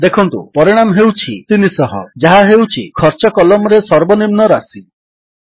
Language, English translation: Odia, Note, that the result is 300 which is the minimum amount in the Cost column